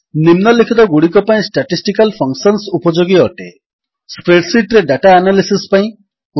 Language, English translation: Odia, Statistical functions are useful for analysis of data in spreadsheets